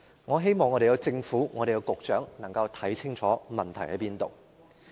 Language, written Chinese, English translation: Cantonese, 我希望政府和局長能夠看清楚問題所在。, I hope the Government and the Secretary can see clearly where the problem lies